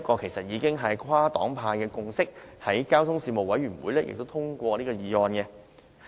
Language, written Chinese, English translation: Cantonese, 其實，這已是跨黨派的共識，交通事務委員會亦已通過這項議案。, Actually political parties across the board agree to this step . The Panel on Transport also passed such a motion before